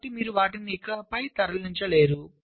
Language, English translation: Telugu, also, you cannot move them any further